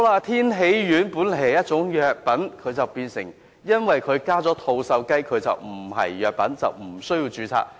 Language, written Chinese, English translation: Cantonese, 天喜丸本來是一種藥品，卻因為加入了吐綬雞，便不屬於藥品，無須註冊。, Tianxi pills is a pharmaceutical product yet with the addition of turkey as one of the ingredients the pill is not regarded as a pharmaceutical product and does not required registration